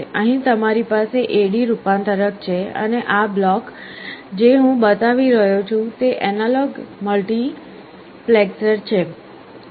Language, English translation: Gujarati, Here you have an A/D converter and this block that I am showing is an analog multiplexer